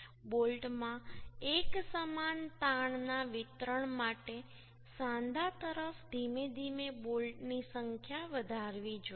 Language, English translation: Gujarati, The number of bolts should be increased gradually towards the joint for uniform stress distribution in bolt